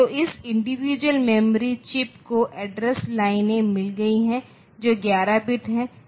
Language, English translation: Hindi, So, this individual memory chips so they have got the address lines which are 11 bit